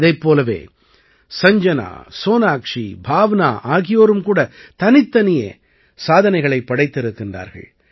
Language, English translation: Tamil, Similarly, Sanjana, Sonakshi and Bhavna have also made different records